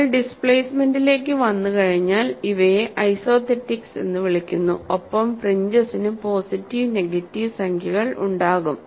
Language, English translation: Malayalam, Once we come to displacements, these are called isothetics and the fringes will have both positive and negative numbers